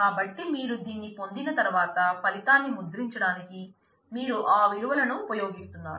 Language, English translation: Telugu, So, once you have got this you are you are using those values to print out the result